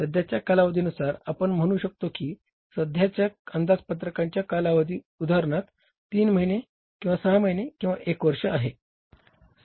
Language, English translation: Marathi, You can say the current budgeting horizon for example it is three months or six months or one year